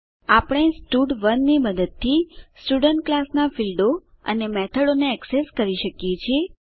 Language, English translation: Gujarati, We can access the fields and methods of the Student class using stud1